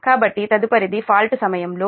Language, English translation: Telugu, so next is during fault